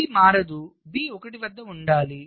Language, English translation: Telugu, b should remain at one